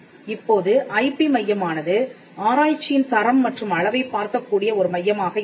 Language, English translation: Tamil, Now, the IP centre will be a centre that can look into the quality and the quantity of research